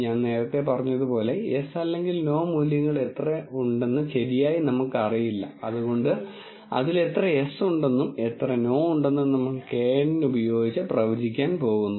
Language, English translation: Malayalam, As I said earlier, we are going to act in such a way that we do not know the true yes and no values and we use knn to predict which of them are yes and which of them are no